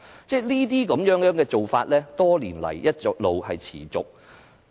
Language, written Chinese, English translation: Cantonese, 這些做法，多年來一直持續。, Such practices have persisted over the many years